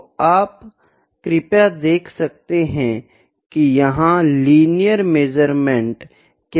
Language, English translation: Hindi, So, linear and stable, could you please see which is the linear measurement here